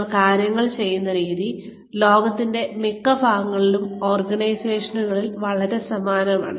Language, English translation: Malayalam, The way, we do things, is very similar in organizations, in most parts of the world